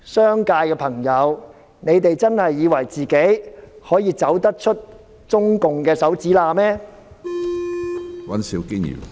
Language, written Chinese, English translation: Cantonese, 商界的朋友，你們真的以為自己可以走出中國共產黨的指縫嗎？, Friends from the business sector do you really think that you can escape the grip of the Communist Party of China?